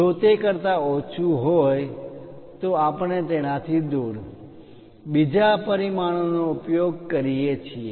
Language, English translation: Gujarati, If it is less than that we use other dimension from away, like that